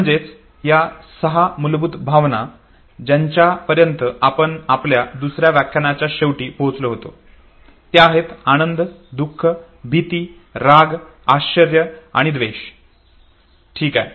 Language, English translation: Marathi, So these six basic emotions which we finally arrive that towards the end of our second lecture happiness, sadness, fear, anger, surprise and disgust okay